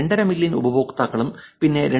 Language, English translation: Malayalam, 5 million users and then 2